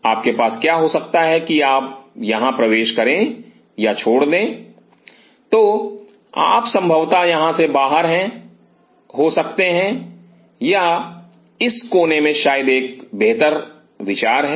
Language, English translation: Hindi, So, what you can have is you enter here or leave the So, you can have a out here possibly or in this corner maybe a better idea